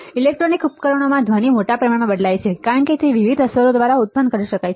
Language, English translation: Gujarati, Noise in electronic devices varies greatly as it can be produced by several different effects